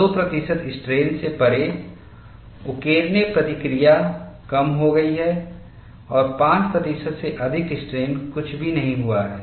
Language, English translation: Hindi, Beyond 2 percent strain the etching response has diminished and above 5 percent strain, no attack at all